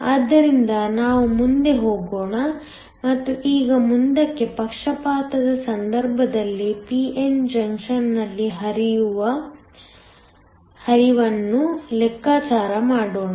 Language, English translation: Kannada, So, let us go ahead and now calculate the current in a p n junction in the case of forward bias